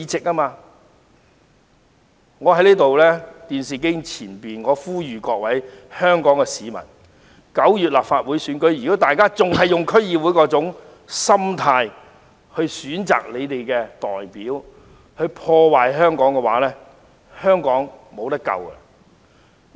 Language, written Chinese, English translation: Cantonese, 我想呼籲在電視機前的各位香港市民，如果大家在9月的立法會選舉中仍然以看待區議會選舉的心態選擇他們的代表，破壞香港，香港便沒救了。, I would like to make an appeal to members of the Hong Kong public in front of the television . In the Legislative Council Election to be held in September if they still in the same way as they treated DC Election pick their representatives who are going to ruin Hong Kong Hong Kong is hopeless